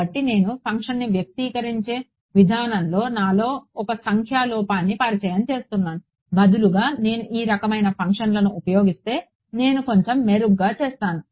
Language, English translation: Telugu, So, I am introducing a numerical error into my in the way I am expressing the function itself; Instead if I use these kind of functions I am doing a little bit better